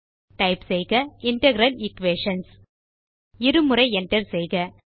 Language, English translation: Tamil, Type Integral Equations: and press enter twice